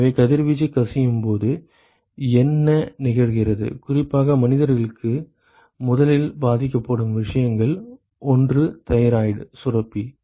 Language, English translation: Tamil, So, what happens in radiation when it leaks is that particularly for human beings one of the first things that gets affected is the thyroid gland